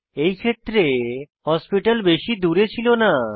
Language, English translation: Bengali, In this case, the hospital was not far away